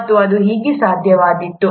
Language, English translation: Kannada, And how it would have been possible